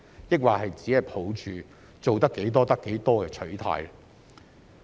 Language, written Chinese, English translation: Cantonese, 抑或只抱着"做得幾多得幾多"的取態？, Or has it merely adopted a muddling - along attitude?